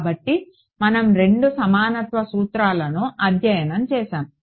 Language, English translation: Telugu, So, we studied two equivalence principles